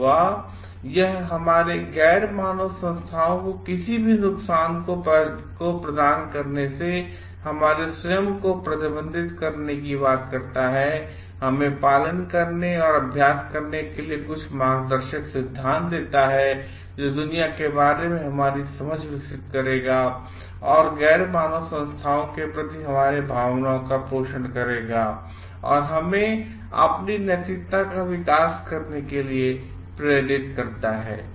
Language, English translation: Hindi, And or it talks of restricting our self from providing any harm to the other non human entities, gives us some guiding principles to follow and practice, which will develop our understanding of the world and like nurture our feelings for the non human entities, and make our own evolution of ethics